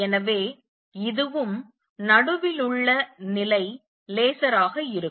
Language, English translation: Tamil, So, is this and level in the middle onward will be laser